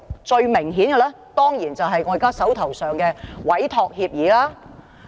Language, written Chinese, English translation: Cantonese, 最明顯的當然是我現時手上的委託協議。, Most notable for this effect is of course the Entrustment Agreement currently in my hand